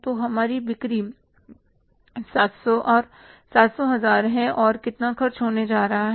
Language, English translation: Hindi, So, our sales are 700,700,000 So, how much expenses are going to be here